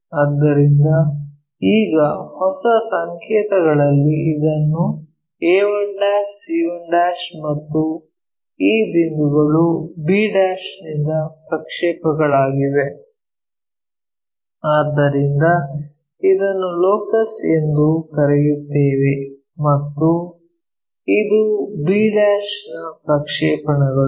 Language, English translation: Kannada, So, now, in new notation this is a 1', this is c 1' and this point which is projected, so this is what we calllocus and this is the projection